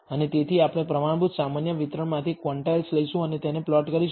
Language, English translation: Gujarati, And therefore, we will take the quantiles from the standard normal distribution and plot it